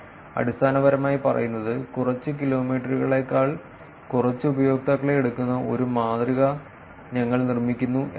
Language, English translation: Malayalam, It is basically saying that we build a model where we take the users with very few, less than few kilometers; because they are not going to be connected